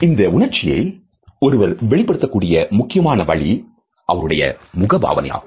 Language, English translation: Tamil, The main way a person communicates this emotion is through external expressions of the face